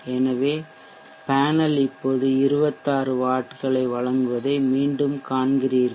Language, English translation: Tamil, So you see here that the panel is now back to supplying 26 vats